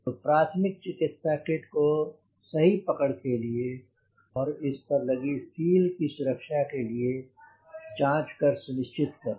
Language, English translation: Hindi, so we need to check whether the first aid kit is properly anchored and that the seal is not damaged